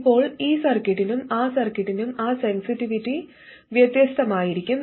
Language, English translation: Malayalam, Now that sensitivity will be different for this circuit and that circuit